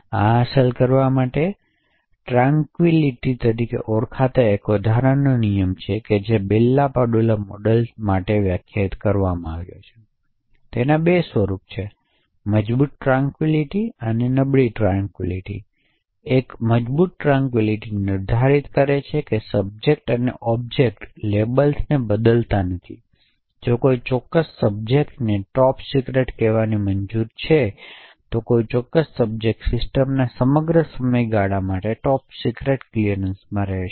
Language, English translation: Gujarati, In order to achieve this there is an additional rule known as the Tranquillity properties which are defined for the Bell LaPadula model, there are two forms of the tranquillity property, Strong Tranquillity property and Weak Tranquillity property, a Strong Tranquillity property is defined that subjects and objects do not change labels during the lifetime of the system, if the particular subject is having a clearance of say top secret, then a particular subject would remain in the a top secret clearance for the entire duration of the system